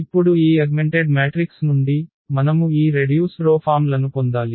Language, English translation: Telugu, So, now out of this augmented matrix, we have to get this row reduced forms